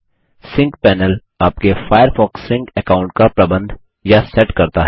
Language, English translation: Hindi, The Sync panel lets you set up or manage a Firefox Sync account